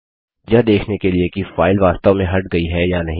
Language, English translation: Hindi, To see that the file has been actually removed or not